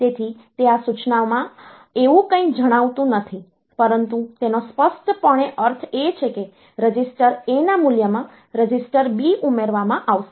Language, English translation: Gujarati, So, it does not tell anything like that in this instruction, but implicitly it means that this B value there A value of register B, will be added to the value of register A